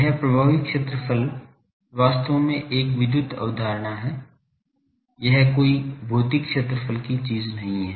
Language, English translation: Hindi, That effective area is actually an electrical, concept it is not a physical area thing